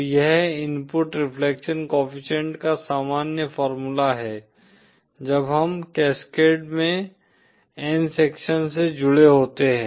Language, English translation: Hindi, So this is the general formula for the input reflection coefficient when we have n sections connected in cascade